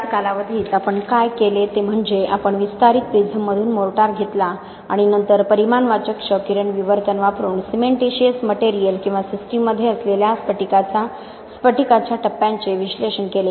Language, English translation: Marathi, In the same time period what we also did was we took the mortar from the expanding prisms and then analyse the cementitious materials or the crystalline phases that are in the system using quantitative x ray diffraction